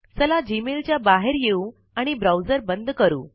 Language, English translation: Marathi, Lets log out of Gmail and close this browser